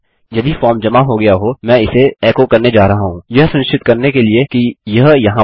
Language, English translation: Hindi, If the form has been submitted, I am going to echo this out, to make sure it is there